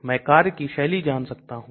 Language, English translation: Hindi, I can know mode of action